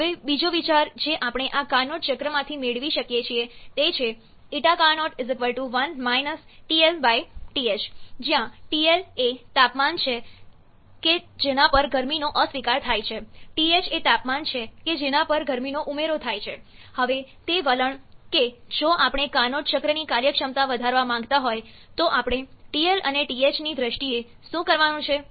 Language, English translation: Gujarati, Now, another idea that we can get from this carnot cycle is that eta carnot = 1 – TL/TH where TL is the temperature at which heat rejection takes place, TH is the temperature at which heat addition take place